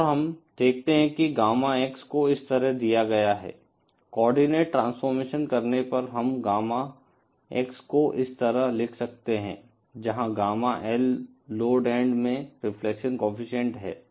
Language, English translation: Hindi, And we see that Gamma X is given like this, on doing the coordinate transformation, we can write Gamma X like this where Gamma L is the reflection coefficient at the load end